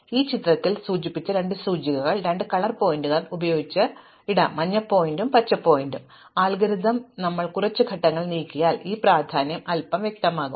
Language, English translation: Malayalam, So, I will put two indices which I will indicate in this picture with two color pointers, a yellow pointer and a green pointer, their significance will become a little clearer once we move a couple of steps in the algorithm